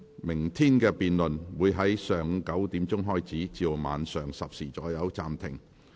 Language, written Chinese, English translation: Cantonese, 明天的辯論會在上午9時開始，晚上10時左右暫停。, The debate for tomorrow will start at 9col00 am and be suspended at about 10col00 pm